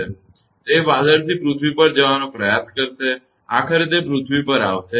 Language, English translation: Gujarati, That it will try to move from the cloud to the earth, ultimately it will come to the earth